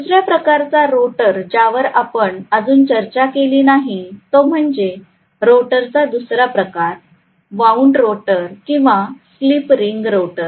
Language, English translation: Marathi, The other type of rotor which we are yet to discuss, the second type of rotor is wound rotor or slip ring rotor